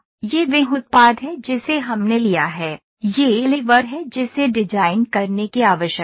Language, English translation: Hindi, This is the product that we have taken; this is the lever that is need to be designed